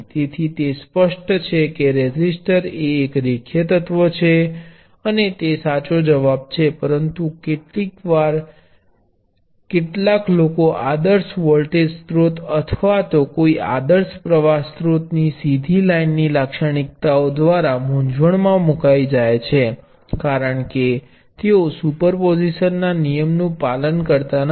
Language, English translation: Gujarati, So, it is pretty obvious everybody says that resistor is a linear element and that is a correct answer, but sometimes some peoples get confused by straight line characteristics of an ideal voltage source or an ideal current source they are not linear, because they do not obey superposition